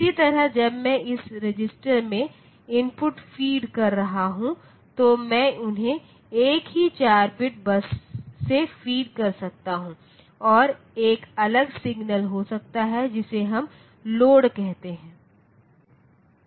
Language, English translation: Hindi, Similarly, when I am feeding input to this register, so instead of feeding them differently I can feed them from a single 4 bit bus and there can be a separate signal which we call load